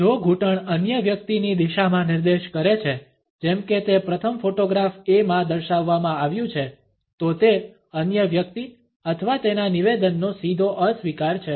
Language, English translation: Gujarati, If the knee points in the direction of the other person, as it has been displayed in the first photograph A, it is a direct rejection of the other person or his statement